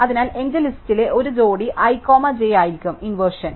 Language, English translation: Malayalam, So, inversion would be a pair i comma j in my list, where i smaller than j